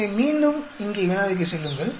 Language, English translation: Tamil, So again go back to the problem here